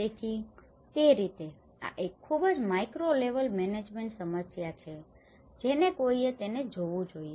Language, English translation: Gujarati, So, in that way, these are a very micro level management issues one has to look at it